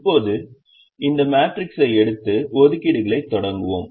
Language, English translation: Tamil, now let us take this matrix and start making the assignments